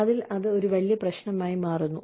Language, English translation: Malayalam, So, that becomes a big problem